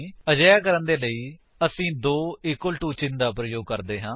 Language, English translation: Punjabi, To do that, we use two equal to symbols